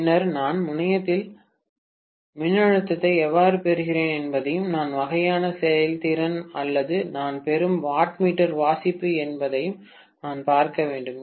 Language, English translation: Tamil, And then I will have to see how I am getting the voltage at the terminal and what is the kind of efficiency or the wattmeter reading that I am getting, right